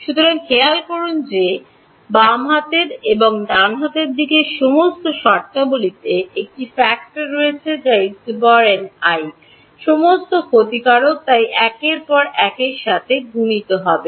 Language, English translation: Bengali, So, notice that all the terms on the left hand side and the right hand side have one factor in common which is E n i there all exponential so there will be multiplied with each other